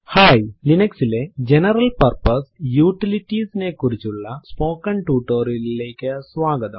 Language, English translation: Malayalam, Hi, welcome to this spoken tutorial on General Purpose Utilities in Linux